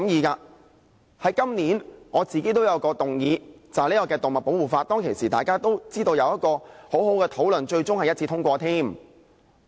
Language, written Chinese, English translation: Cantonese, 我自己在本年也有一項議案，就是"動物保護法"，當時也有很好的討論，最終更獲得一致通過。, I have moved a motion on Safeguarding animal rights this year . The motion was passed unanimously after an excellent discussion